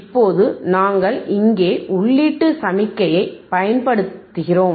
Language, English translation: Tamil, Now, we apply input signal here